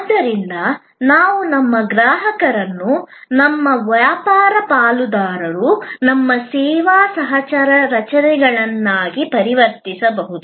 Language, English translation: Kannada, So, that we can convert our customers into our business partners, our service co creators